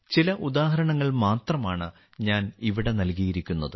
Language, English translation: Malayalam, I have given only a few examples here